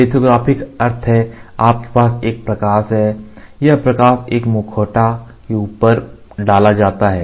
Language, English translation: Hindi, Lithography means you have a light where in which this light is exposed on top of a mask